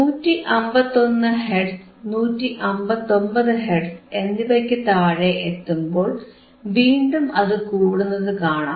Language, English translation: Malayalam, Now you see here below 151 Hertz, below 159 Hertz it will again start increasing